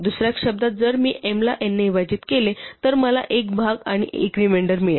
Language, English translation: Marathi, In other words if I divide m by n i will get a quotient and a remainder